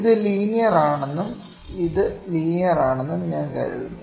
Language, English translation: Malayalam, I think this is linear and this is linear